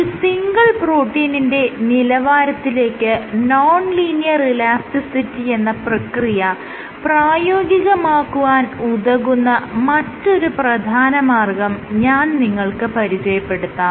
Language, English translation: Malayalam, I will discuss about another procedure another way in which non linear elasticity can be embedded or incorporated into the function at the single protein level